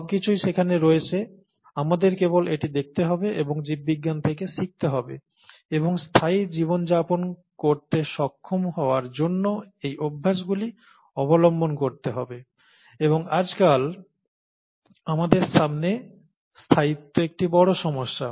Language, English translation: Bengali, So it's all, all there, we just have to look at it and learn from biology and adopt those practices to be able to lead a sustainable life, and sustainability is a very big challenge in front of us nowadays